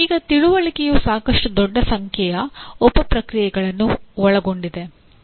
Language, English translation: Kannada, Now understanding has fairly large number of sub processes involved in understanding